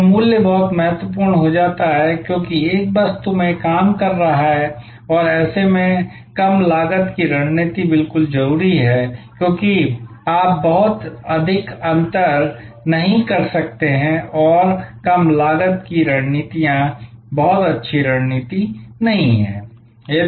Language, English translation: Hindi, So, price becomes very important, because one is dealing in commodity and in such a case low cost strategy is absolutely imperative, because you cannot very much differentiate and; Low cost strategies not a very good strategy,